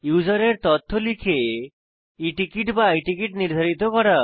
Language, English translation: Bengali, To enter user information and to decide E ticket or I ticket